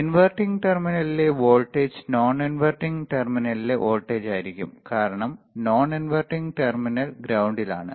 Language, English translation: Malayalam, The voltage at the inverting terminal will be same as a voltage at the non when terminal in since the non inverting terminal is at ground potential